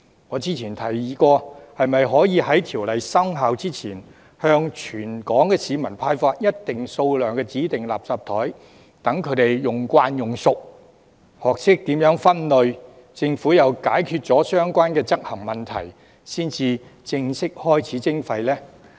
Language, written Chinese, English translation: Cantonese, 我之前曾提議：可否在條例生效前，向全港市民派發一定數量的指定垃圾袋，讓他們習慣使用，學懂如何分類，並且，待政府解決了相關執行問題，才正式開始徵費呢？, As I previously suggested will it be possible to distribute a certain number of designated garbage bags to all the people of Hong Kong before the commencement of the relevant legislation so that people can get used to using the bags and learn to separate their waste? . Also will the Government formally kick off the charging scheme only after the relevant implementation problems are resolved?